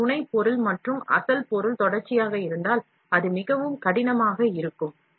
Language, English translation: Tamil, If it is continuous of the supporting material and the original material, then it is going to be very difficult